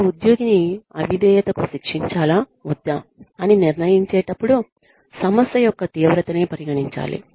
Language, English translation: Telugu, Seriousness of the issue, should be considered, when deciding, whether to punish an employee for insubordination, or not